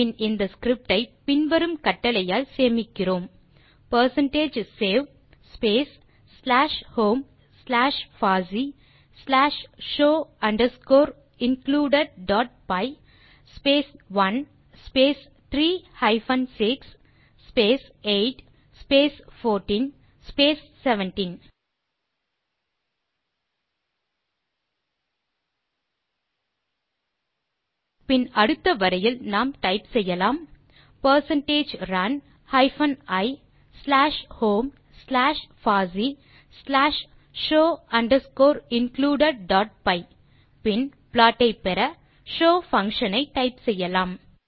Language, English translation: Tamil, So you can type percentage hist space 20 on the terminal We first look at the history using this command only, Then save the script using the command percentage save slash home slash fossee slash show underscore included dot py space 1 space 3 hyphen 6 then space 8 then 14 and 17 then on the next line you can type percentage run hyphen i slash home slash fossee slash show underscore included dot py, then type show, show function to get the plot